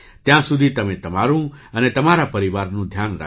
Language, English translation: Gujarati, Till then please take care of yourself and your family as well